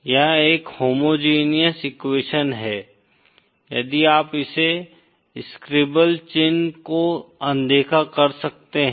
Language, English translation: Hindi, This is a homogenous equation if you can ignore this scribble mark